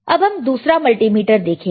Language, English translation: Hindi, So, we will see about multimeter in a while